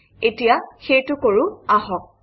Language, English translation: Assamese, Let us do that now